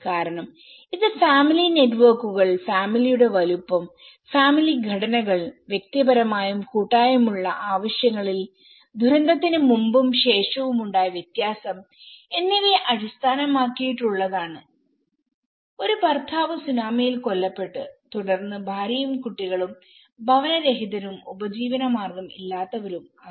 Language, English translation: Malayalam, Because, it is also based on the family networks, the family size, the family structures, the individual and collective needs vary, before disaster and after disaster a husband male he has been killed during a tsunami and then the wife and the children will be homeless and livelihood less